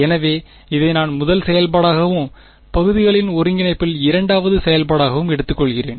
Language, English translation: Tamil, So, I am taking this as the first function and this as the second function in integration by parts